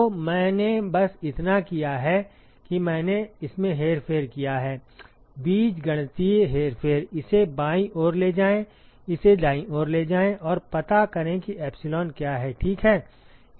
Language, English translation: Hindi, So, all I have done is I have just manipulated this, algebraic manipulation, take this on the left hand side, take this on the right hand side and find out what is epsilon, ok